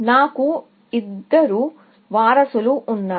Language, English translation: Telugu, I have two successors